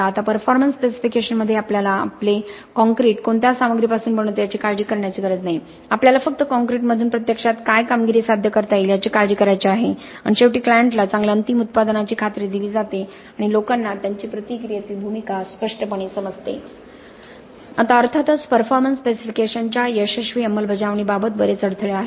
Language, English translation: Marathi, Now in a performance specification we do not have to worry about what ingredients make up our concrete, we only have to worry about what performance we can actually achieve from the concrete and essentially, ultimately the client is assured of a good final product and people understand their roles in the process much more clearly